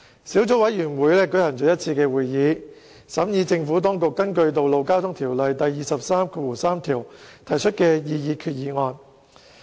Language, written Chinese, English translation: Cantonese, 小組委員會舉行了一次會議，審議政府當局根據《道路交通條例》第233條提出的擬議決議案。, The Subcommittee has held one meeting to examine the Administrations proposed resolution under Section 233 of the Road Traffic Ordinance